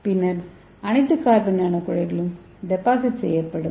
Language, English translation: Tamil, so that will make the carbon nano tubes